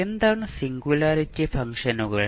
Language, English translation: Malayalam, What is singularity functions